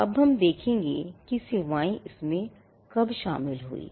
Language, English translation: Hindi, Now, we will see when the services part came into being